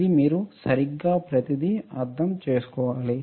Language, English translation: Telugu, This everything you need to understand all right